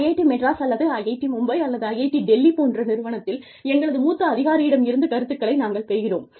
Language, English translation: Tamil, We keep getting feedback, from our seniors, in say, IIT Madras, or IIT Bombay, or IIT Delhi